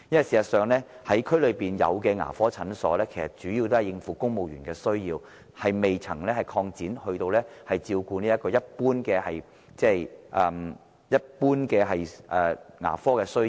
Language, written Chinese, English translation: Cantonese, 事實上，各區現有的牙科診所主要應付公務員需要，仍未擴展至照顧一般的牙科需要。, In fact the existing dental clinics in various districts mainly deal with the needs of civil servants and have yet to be expanded to meet general dental needs